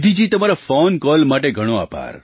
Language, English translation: Gujarati, Nidhi ji, many thanks for your phone call